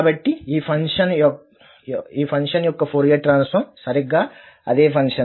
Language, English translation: Telugu, So, the Fourier transform of this function is exactly the same function